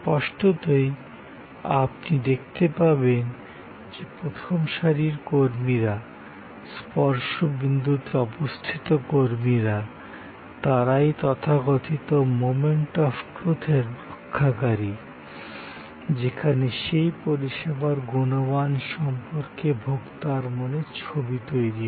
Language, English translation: Bengali, So; obviously, as you can see the front line personnel, the touch point personnel, they are the custodians of the so called moments of truth, where impressions are formed by the consumer about the quality of that service